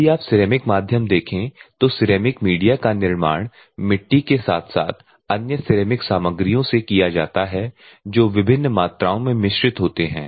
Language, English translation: Hindi, So, in the abrasive medium if you see the ceramic medium; ceramic medium media is manufactured from clay as well as other ceramic materials which are mixed various quantities